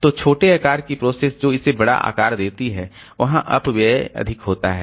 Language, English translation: Hindi, So, for small size processes giving it larger page size is, there will be more of wastage